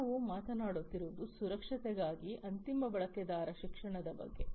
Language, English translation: Kannada, So, we are talking about, you know, end user education for security